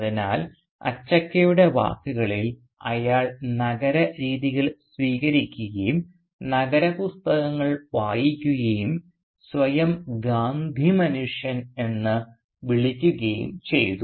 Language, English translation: Malayalam, So he had, in Achakka’s words, developed city ways, read city books, and even called himself a Gandhi man